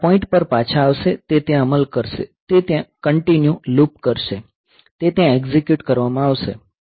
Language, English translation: Gujarati, So, it will be coming back to this point; it will be executing there, it will be looping there continually; it will be executing there